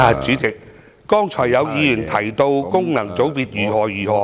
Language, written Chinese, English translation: Cantonese, 主席，剛才有議員談論功能界別如何如何......, President just now some Members talked about FCs from this and that perspective